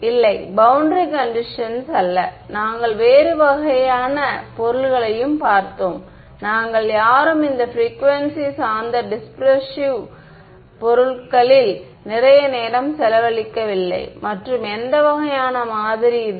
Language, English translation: Tamil, No, not boundary conditions what we looked at another kind of material, no one big we spend a lot of time on this frequency dependent dispersive materials and which kind of model